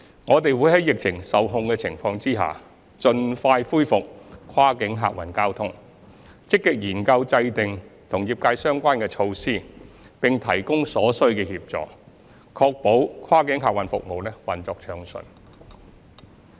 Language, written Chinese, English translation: Cantonese, 我們會在疫情受控的情況下，盡快恢復跨境客運交通，積極研究制訂與業界相關的措施並提供所需協助，確保跨境客運服務運作暢順。, We aim to resume cross - boundary passenger transport once the epidemic situation is under control . We will proactively formulate measures pertinent to the trade and render necessary assistance with a view to ensuring the smooth operation of cross - boundary passenger services